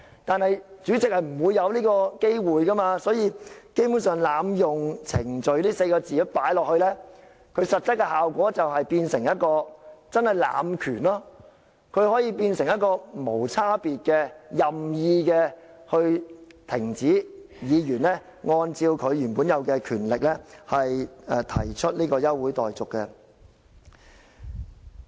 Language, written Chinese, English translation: Cantonese, 但是，主席是不會有這機會的，所以加入"濫用程序"這4個字的實則效果就是濫權，可以變成無差別的、任意停止議員按照他原有權力提出現即休會待續議案。, But the President will not have the opportunity to do so . Hence an abuse of procedure will become an abuse of power to arbitrarily stop Members from exercising their power to move adjournment motions a power that they are vested with